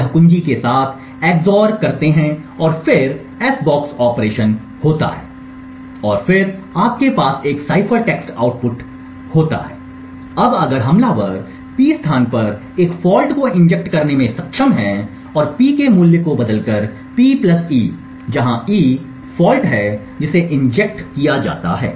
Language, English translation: Hindi, This gets xored with the key and then there is s box operation and then you have a cipher text output, now if the attacker is able to inject a fault at this location on P and change the value of the P to P + e, where e is the fault that is injected